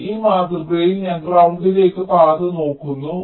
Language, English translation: Malayalam, so in this model i am looking the path to ground